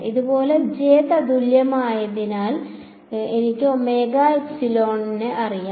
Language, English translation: Malayalam, Similarly for j equivalent I know omega epsilon